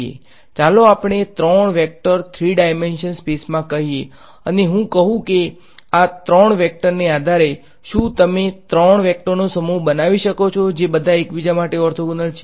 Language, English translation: Gujarati, Let us say these 3 vectors wherein 3 dimensional space and I say that given these 3 vectors, can you construct a set of 3 vectors which are all orthogonal to each other